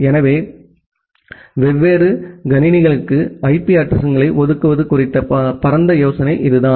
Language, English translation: Tamil, So, that is the broad idea about the way you give allocate IP addresses to different machines